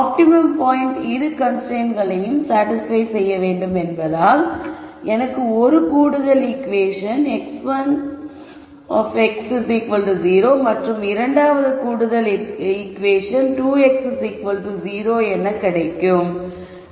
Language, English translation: Tamil, So, since the optimum point has to satisfy both the constraints, I get one extra equation x 1 x equals 0 and the other extra equation is 2 x equal to 0